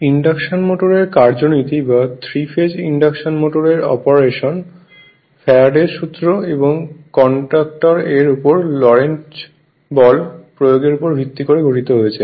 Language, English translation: Bengali, Ok So, now Principle of Induction Motor right so the operation of Three phase Induction Motor is based up on application of Faraday's Law and the Lorentz force on a conductor right